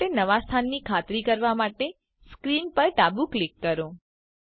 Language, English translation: Gujarati, Left click on screen to confirm a new location for the cube